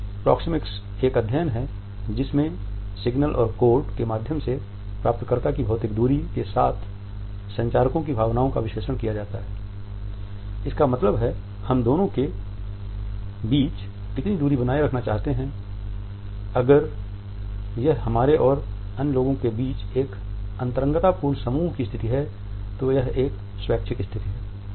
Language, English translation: Hindi, Proxemics is a study which analyzes the communicators sense of physical distance with the recipient in terms of signals and codes; that means, how much distance we want to keep between the two of us, if it is a dyadic situation between us and the other people if it is an interpersonal group situation